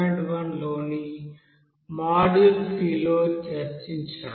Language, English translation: Telugu, We have discussed it in module 3 in lecture 3